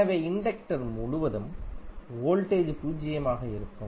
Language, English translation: Tamil, So, voltage across inductor would be zero